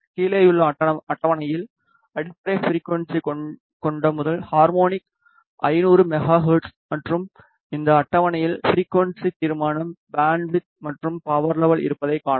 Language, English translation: Tamil, On below table you see that the first harmonic which is the fundamental frequency is 500 megahertz and this table has a frequency resolution bandwidth and power level